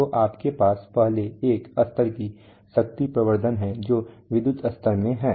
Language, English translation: Hindi, So you have power amplification first one level power amplification which is in the electrical level